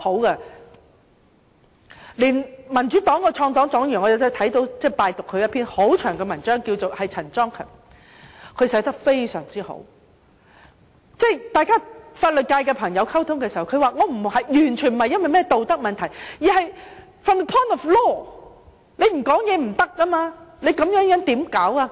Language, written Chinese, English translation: Cantonese, 我拜讀了民主黨創黨黨員陳莊勤撰寫的一篇很長的文章，他寫得非常好，他說與法律界人士溝通時，他也表示他的意見完全不是基於道德問題，而是 from the point of law 不得不提出意見。, I have read a very long article written by John CHAN a founding member of the Democratic Party . He made some very good points in his article . He said that when he communicated with members of the legal profession he also told them that he had formed his views entirely not on the basis of moral consideration but it was from the point of law that he could not refrain from stating his views